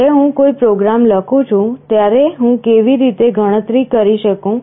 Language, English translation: Gujarati, When I write a program, how do I count